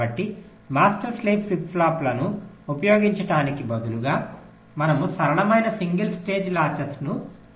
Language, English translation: Telugu, so instead of using the master slave flip flops, we can use simple single stage latches